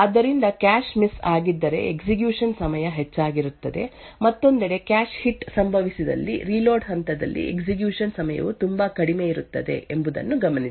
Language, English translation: Kannada, So, note that if there is a cache miss, then the execution time will be high, on the other hand if a cache hit occurs then the execution time during the reload phase would be much lower